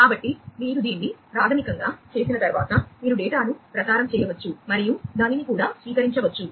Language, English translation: Telugu, So, after you have done that basically, you know, you can then transmit the data and then also receive it